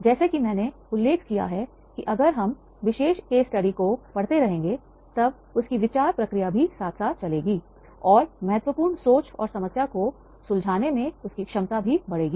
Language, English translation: Hindi, As I mentioned, that is the as we will read, keep on going the reading this particular case study study then his thought process will also simultaneously work and his ability in critical thinking and problem solving that should be enhanced